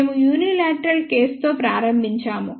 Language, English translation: Telugu, We started with unilateral case